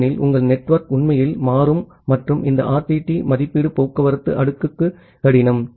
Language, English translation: Tamil, Because your network is really dynamic and this RTT estimation is a difficult for transport layer